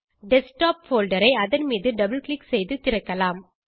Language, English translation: Tamil, Lets open the Desktop folder by double clicking on it